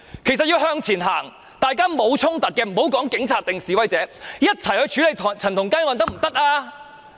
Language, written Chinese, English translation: Cantonese, 其實要往前走，大家沒有衝突，無分警察或示威者，一起去處理陳同佳案可以嗎？, Actually can we stride forward and join hands in dealing with the case without fighting among ourselves and regardless whether we are on the side of the Police or protesters?